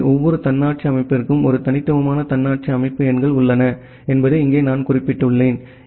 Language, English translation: Tamil, So, here as I have mentioned that every autonomous system has a unique autonomous system numbers